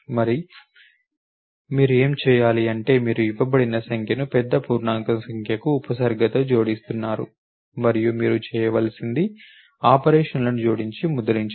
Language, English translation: Telugu, You are appending a given number prefixing the big int number and you have to perform is add operations and print